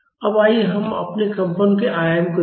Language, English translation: Hindi, Now, let us look at the amplitude of our vibration